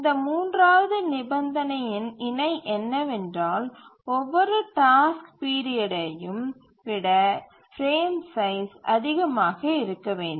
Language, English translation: Tamil, A corollary of this third condition is that the frame size has to be greater than every task period